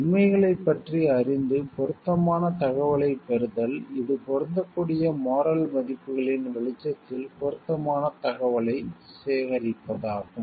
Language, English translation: Tamil, Informed about the facts obtain relevant information, this means gathering information that is pertinent in the light of the applicable moral values